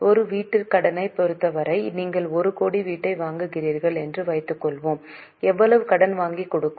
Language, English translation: Tamil, For a housing loan, let us suppose you are buying a house of 1 crore, how much loan bank will give